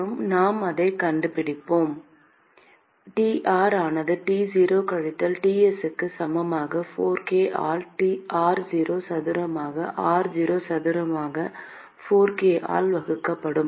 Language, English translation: Tamil, And we will find that: T r equal to T0 minus Ts divided by 4 k by r0 square into r0 square by 4 k